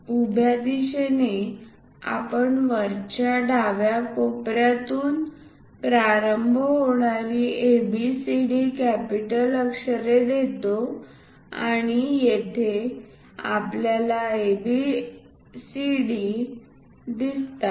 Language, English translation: Marathi, In the vertical direction we give capital letters A B C D starting with top left corner and here also we see A B C and D